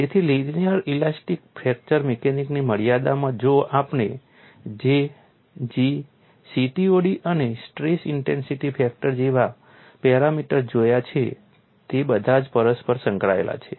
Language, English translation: Gujarati, So, within the confines of linear elastic fracture mechanics although we have seen parameters like J, G, CTOD and stress intensity factor they are all interrelated